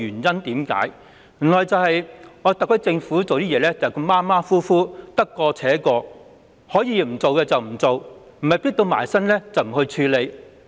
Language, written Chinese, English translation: Cantonese, 正是因為特區政府處事馬虎，得過且過，可以不做便不做，若非"迫到埋身"便不處理。, It is because the perfunctory SAR Government has all along muddled through and does not bother to address any issues until the problems have become too pressing to ignore